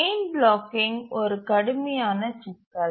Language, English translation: Tamil, So chain blocking is a severe problem